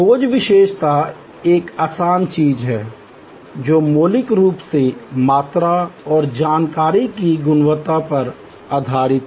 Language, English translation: Hindi, The easier one is the search attribute, which are fundamentally based on quantity and quality of information